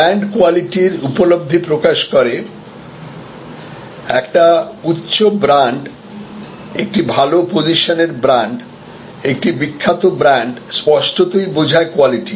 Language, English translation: Bengali, Brand conveys quality perception; obviously, a high brand, a well position brand, a famous brand connotes quality